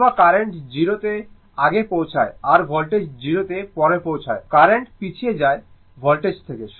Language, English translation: Bengali, Or current reaching to 0 before your what you call after your voltage becomes 0 or currents lags from the voltage